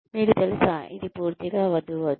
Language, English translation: Telugu, You know, it is a complete no no